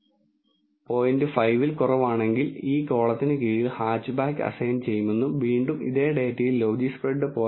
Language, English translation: Malayalam, 5, then assigned hatchback under this column and again from the same data if the logispred is greater than 0